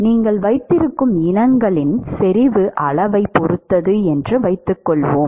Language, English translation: Tamil, Supposing, it depends upon the concentration level for the species that you have